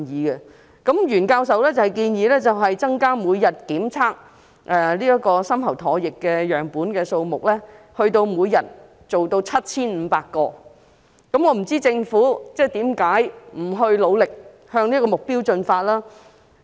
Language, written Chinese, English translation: Cantonese, 袁教授建議把每天檢測的深喉唾液樣本數目增加至 7,500 個，我不知道政府為何沒有努力朝着這個目標進發。, Prof YUEN proposed to increase the number of deep throat saliva samples tested daily to 7 500 . I do not know why the Government did not make any effort towards this direction